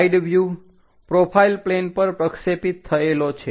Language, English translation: Gujarati, A side view projected on to profile plane